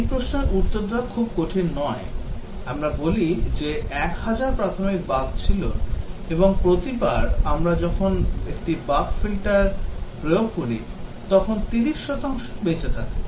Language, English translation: Bengali, To answer this question is not very difficult we say that 1000 was the initial bugs and each time we apply a bug filter, 30 percent survive